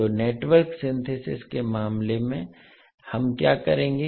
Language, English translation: Hindi, So in case of Network Synthesis what we will do